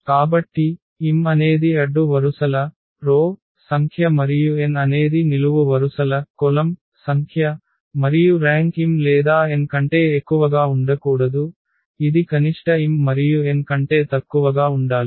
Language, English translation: Telugu, So, m is the number of rows and number of columns, and the rank cannot be greater than m or n it has to be the less than the minimum of m and n